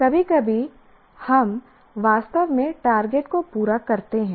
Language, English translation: Hindi, Sometimes we actually meet the target